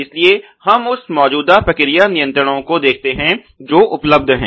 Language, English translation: Hindi, So, we look at the current processes controls which are available ok